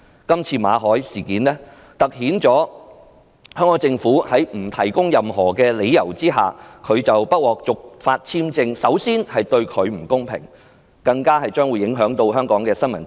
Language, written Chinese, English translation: Cantonese, 今次香港政府在不提供任何理由之下，拒絕馬凱先生續期簽證申請，除凸顯對他的不公平以外，更影響到香港的新聞自由。, The Hong Kong Governments refusal to renew for no reason Mr MALLETs work visa has not only treated him unfairly but also affected freedom of the press in Hong Kong